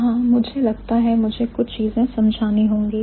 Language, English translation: Hindi, So, here I think I have to explain a few things